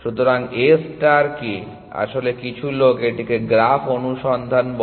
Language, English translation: Bengali, So, A star is actually some people just call it graph search